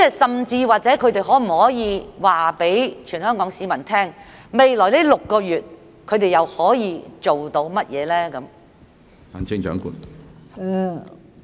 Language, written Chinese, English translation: Cantonese, 甚至他們可否告訴全港市民，未來6個月他們又可以做到甚麼？, Will they even tell the people of Hong Kong what they can achieve in the next six months?